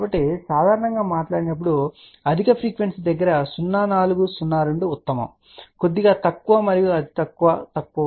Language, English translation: Telugu, So, generally speaking 0402 is preferable at higher frequency little bit lower and lower and lower